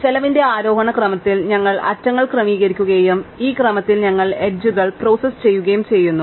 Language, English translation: Malayalam, We arrange the edges in ascending order of the cost and we process the edges in this order